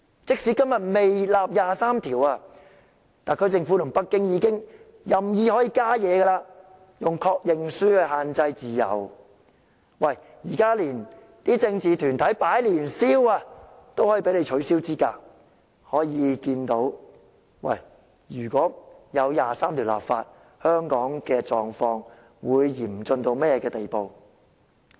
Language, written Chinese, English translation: Cantonese, 即使今日尚未就第二十三條立法，特區政府與北京已任意干預香港的自由，例如以確認書限制參選自由，就連政治團體在年宵市場經營攤位也被取消資格，由此可見，若真的就第二十三條立法，香港的狀況會嚴峻到甚麼程度。, Today the legislation for Article 23 has not been enacted yet but the SAR Government and Beijing have exerted random interference with freedoms in Hong Kong such as restricting the freedom of standing for election by means of the Confirmation Form; and even political groups were disqualified from running stalls at the Lunar New Year fair . It shows that if the legislation for Article 23 is really enacted what dire situation Hong Kong will be in